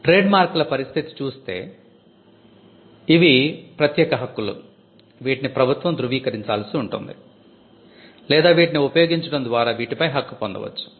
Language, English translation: Telugu, For trademarks, trademarks are exclusive rights, they are confirmed by the government it is possible for you to register them, or it is established by use